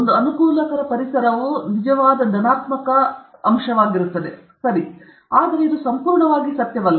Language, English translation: Kannada, A conducive environment is a genuine plus okay, but it is not absolutely necessary